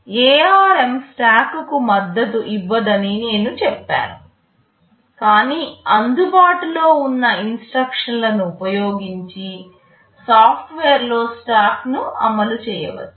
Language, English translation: Telugu, I said ARM does not support a stack, but we can implement a stack in software using available instructions